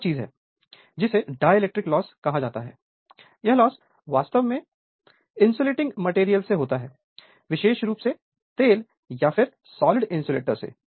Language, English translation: Hindi, Another thing is called dielectric loss; the seat of this loss actually is in the insulating materials particularly oil and solid insulators right insulations right